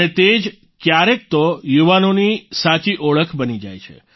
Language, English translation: Gujarati, Sometimes, it becomes the true identity of the youth